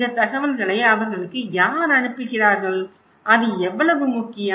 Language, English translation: Tamil, Who is sending these informations to them and how important it is